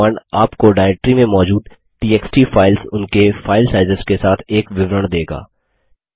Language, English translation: Hindi, This command will give you a report on the txt files available in the directory along with its file sizes